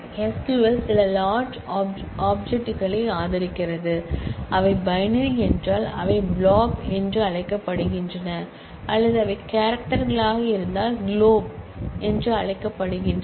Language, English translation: Tamil, SQL supports certain large objects which are either called blobs if they are binary, or called clob if they are character objects